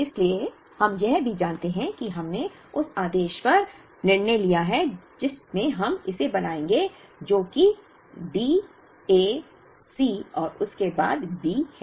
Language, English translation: Hindi, So, we also know that we have kind of decided on the order in which we will make it, which is D A C and then B